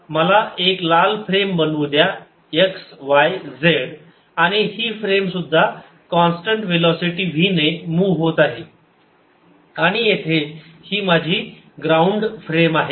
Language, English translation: Marathi, let me make a frame by, as red line, x, y, z, and this frame, therefore, is also moving with constant velocity v, and here is my ground frame